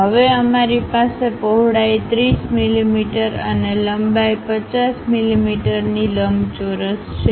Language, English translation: Gujarati, Now, we have a rectangle of size 30 mm in width and 50 mm in length